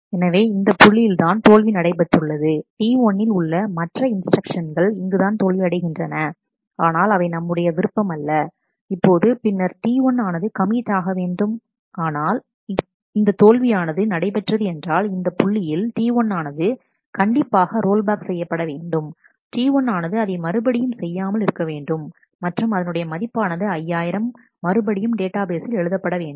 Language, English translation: Tamil, So, this is the point where there was a failure there were other instructions in T 1 as well which is not of our interest right now, and then T 1 would have committed, but what happens if the failure happens at this point naturally the T 1 needs to roll back T 1 needs to undo this and set the this value 5000 back into the database